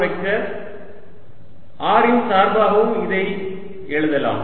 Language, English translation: Tamil, i can also write this as a function of vector r